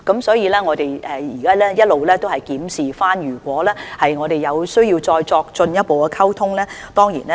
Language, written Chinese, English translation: Cantonese, 所以，我們會一直檢視情況，如有需要，當然會作進一步溝通。, So we will keep monitoring the situation and maintain further communication with them when necessary